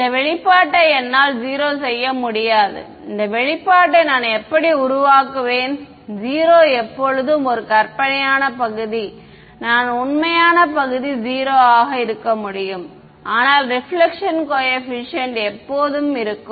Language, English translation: Tamil, I cannot make this expression 0 how will I make this expression 0 there is always an imaginary part I can be the real part 0, but the reflection coefficient will always be there